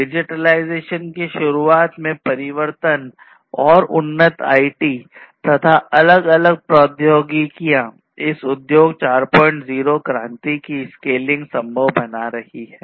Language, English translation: Hindi, So, this transformation to the introduction of digitalization and advanced IT and different other technologies is making the scaling up a possibility in this Industry 4